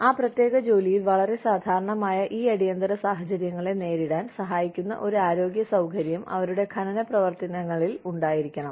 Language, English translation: Malayalam, They have to have, a health facility, within their mining operations, that can help deal with, these emergencies, that are very common, in that particular job